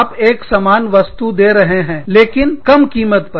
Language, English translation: Hindi, You offer the same thing, for a lower price